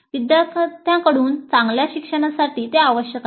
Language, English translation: Marathi, That is necessary for good learning by the students